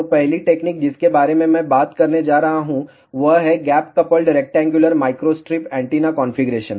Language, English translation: Hindi, So, first technique which I am going to talk about this gap coupled rectangular microstrip antenna configuration